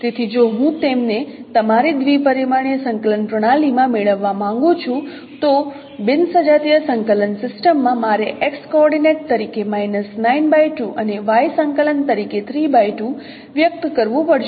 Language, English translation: Gujarati, So, if I would like to get them in our two dimensional coordinate system, non homogeneous coordinate system, I have to express the x coordinate as minus 9 by 2 and y coordinate as 3 by 2